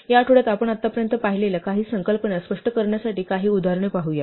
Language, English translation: Marathi, To round of this week, let us look at some examples to illustrate some of the concepts we have seen so far